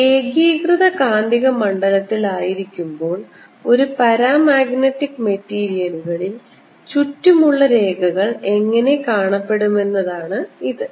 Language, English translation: Malayalam, this is how a paramagnetic material, the lines around it, would look when its put in a uniform magnetic field